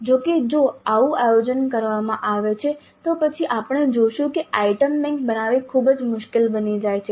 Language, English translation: Gujarati, However, if such a planning is done, then we'll see later that creating an item bank becomes very difficult